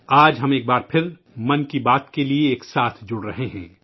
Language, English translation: Urdu, We are connecting once again today for Mann Ki Baat